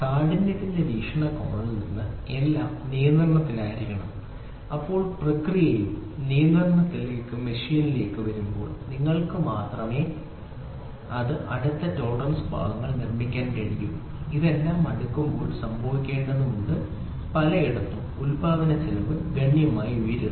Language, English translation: Malayalam, From the hardness point of view everything should be under control then when it comes to a machine where the process is also under control then only you are you will be able to produce very close tolerance limit parts and when this all the sorting out has to happen at several places then the manufacturing cost goes high drastically